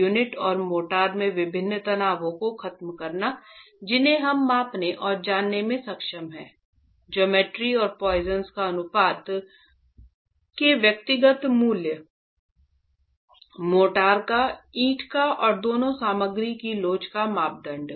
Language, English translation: Hindi, Eliminating the difference stresses in the unit and the motor with aspects that we are able to measure and know the geometry and the individual values of poisons ratio of the mortar, poiseons ratio of the brick brick and the model the moduli of elasticity of the two materials